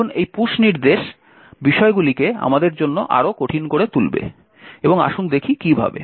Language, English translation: Bengali, Now this push instruction would make things more difficult for us and let us see how